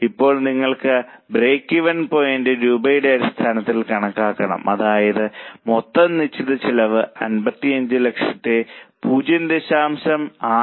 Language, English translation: Malayalam, Now, break even point you may want to calculate it in terms of rupees that is total fixed cost which is 55 lakhs divided by 0